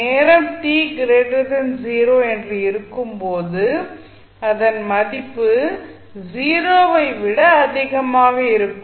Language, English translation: Tamil, Its value is greater than 0 when time t is greater than 0